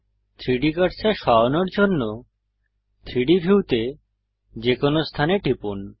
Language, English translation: Bengali, Click on any point in the 3D view to move the 3D cursor